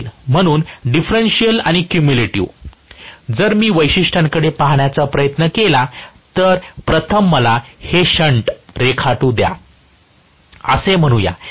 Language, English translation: Marathi, So, differential and cumulative, if I try to look at the characteristics, let me first of all draw this is the shunt, let us say, right